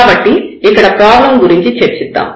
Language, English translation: Telugu, So, let us discuss the problem here